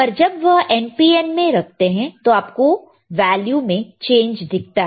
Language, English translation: Hindi, When he was placing in NPN, he could see the change in some value